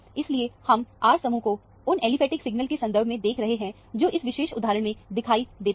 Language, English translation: Hindi, So, we are looking at the R group in terms of the aliphatic signals that are seen in this particular instance